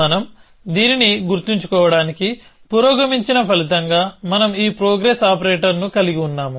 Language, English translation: Telugu, In the resulting state that we have progressed to remember this, we have this progress operator